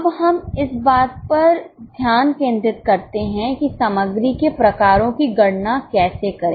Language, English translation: Hindi, Now let us concentrate on how to calculate material variances